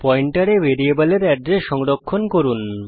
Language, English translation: Bengali, Store the address of variable in the pointer